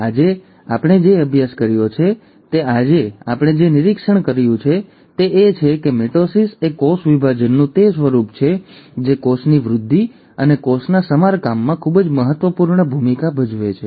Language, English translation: Gujarati, So, what did we study today, what we observed today is that mitosis is that form of cell division which plays a very important role in cell growth and cell repair